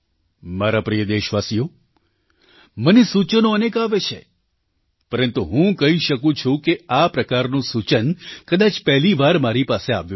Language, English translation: Gujarati, My dear countrymen, I receive a lot of suggestions, but it would be safe to say that this suggestion is unique